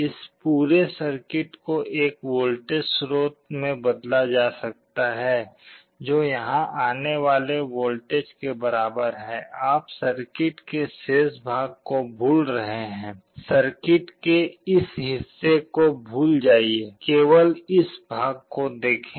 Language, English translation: Hindi, This whole circuit can be replaced by a voltage source which is equal to the voltage that is coming here; you forget the remainder of the circuit, forget this part of the circuit only this part